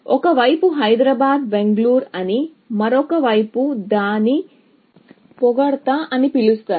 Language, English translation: Telugu, So, one side will be called Hyderabad and Bangalore, and the other side would be called its compliment